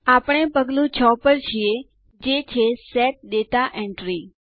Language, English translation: Gujarati, We are on Step 6 that says Set Data Entry